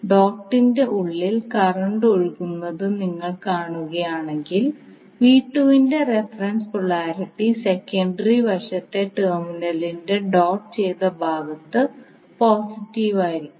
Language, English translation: Malayalam, So if you see the current I 1 is flowing inside the dot the reference polarity for V2 will have positive at the doted side of the terminal on the secondary side